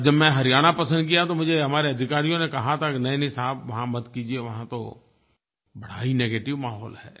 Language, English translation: Hindi, And when I picked Haryana, many of our officers told me to do away with that, saying there was a huge negative atmosphere in the state